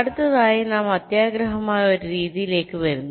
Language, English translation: Malayalam, next we come to a method which is greedy